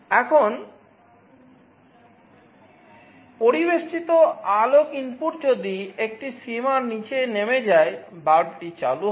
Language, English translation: Bengali, Now, if the ambient light input falls below a threshold, the bulb will turn on